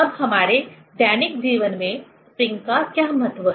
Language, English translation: Hindi, Now, what is the importance of spring in application of our daily life